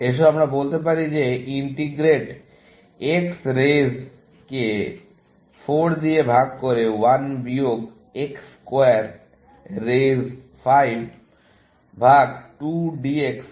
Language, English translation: Bengali, So, let us say that you want to integrate X raise to 4 divided by 1 minus X square raise to 5 by 2 d x